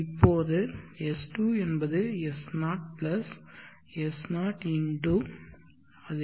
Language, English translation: Tamil, So in the same way sn will be s0 x i n